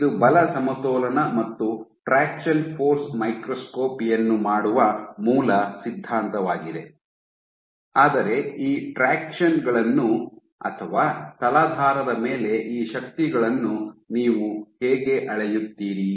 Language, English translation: Kannada, This is the force balance and this is the basic ideology of doing fraction force microscopy, but how do you measure these fractions or these forces on the substrate